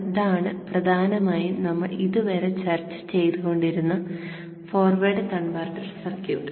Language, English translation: Malayalam, So this is essentially the forward converter circuit that we have been discussing till now